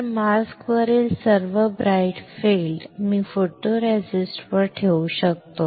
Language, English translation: Marathi, So, all the bright area on the mask I can retain on the photoresist